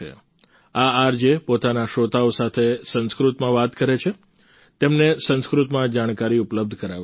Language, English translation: Gujarati, These RJs talk to their listeners in Sanskrit language, providing them with information in Sanskrit